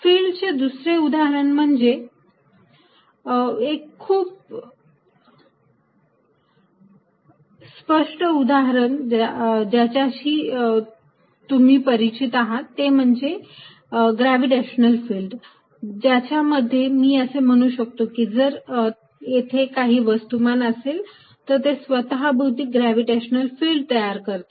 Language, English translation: Marathi, Other examples of fields, a very obvious example that you are familiar with is gravitational field, in which I can say that, if there is a mass, it creates a gravitational field around it